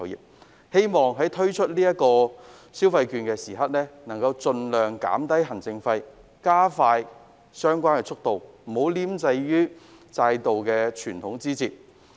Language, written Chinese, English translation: Cantonese, 我希望政府在推出消費券時可盡量減低行政費，加快推行速度，不要拘泥於制度上的枝節。, I hope that when the Government introduces the consumption vouchers it will minimize the administration cost speed up the disbursement and cut the red tapes by all means